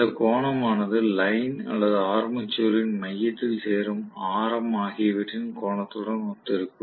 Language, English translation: Tamil, That angle will be corresponding to the angle subtended by the the line or the radius that is joining it to the centre of the armature right